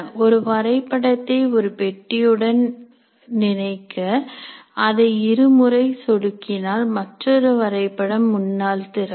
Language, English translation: Tamil, You can by linking one map to the one box, by double clicking the other map will open up in front